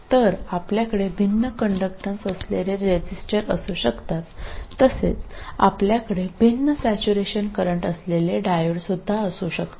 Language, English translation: Marathi, So you can have resistors with different conductances, similarly you can have diodes with different saturation currents